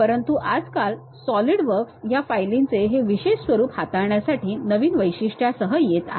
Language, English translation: Marathi, But these days, Solidworks is coming up with new features even to handle these specialized formats for these files